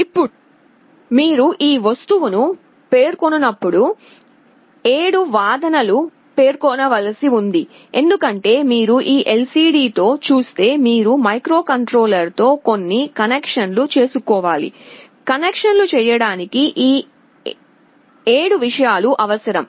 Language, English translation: Telugu, Now when you specify this object, 7 arguments have to be specified, because you see with this LCD you have to make some connections with the microcontroller, these 7 things are required to make the connections